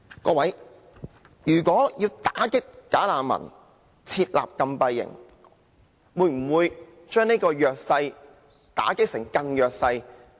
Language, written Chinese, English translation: Cantonese, 各位，如果要打擊"假難民"，設立禁閉營會否把弱勢打擊為更弱勢？, My fellow Members if we are going to combat bogus refugees and setting up closed camp are we trying to make the underprivileged even more underprivileged?